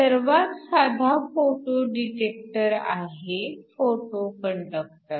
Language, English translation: Marathi, So, the first thing we look at is a photo conductor